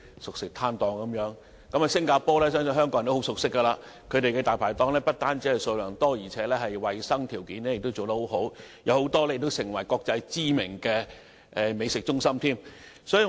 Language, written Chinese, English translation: Cantonese, 相信香港人都對新加坡很熟悉，當地"大牌檔"數量很多，衞生條件亦很好，也有很多國際知名的美食中心。, I believe Hong Kong people are very familiar with Singapore there is a large number of Dai Pai Dongs in the country and the hygienic conditions are very good . There are also many internationally renowned food centres